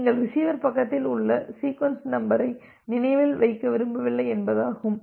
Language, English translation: Tamil, So here, what do you want that we do not want to remember the sequence number at the receiver side